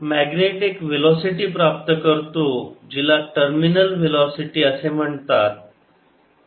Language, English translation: Marathi, so the, the, the magnet attempts velocity, which is called terminal velocity